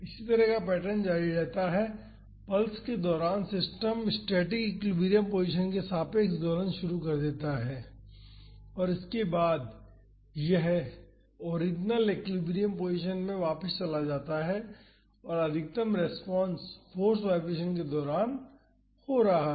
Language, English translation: Hindi, The similar pattern continues so, during the pulse the system oscillates about the static equilibrium position and after that it goes back to the original equilibrium position and the maximum response is happening during the force vibration